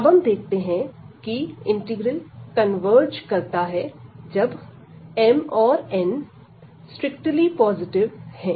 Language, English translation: Hindi, So, we will see that this integral converges only for these values when m and n both are strictly positive